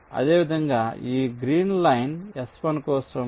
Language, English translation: Telugu, similarly, for this green line s one